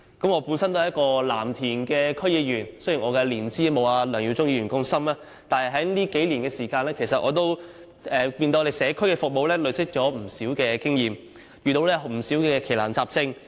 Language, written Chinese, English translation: Cantonese, 我本身也是藍田區區議員，雖然我的年資沒有梁耀忠議員般深，但在這數年時間中，我亦從社區服務中累積了不少經驗，遇過不少奇難雜症。, I am also a District Council member of Lam Tin District . Even though I am not as experienced as Mr LEUNG Yiu - chung I have accumulated experience in district service over these few years and handled a number of strange and difficult issues